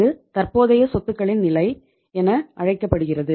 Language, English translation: Tamil, And this is called as level of current assets right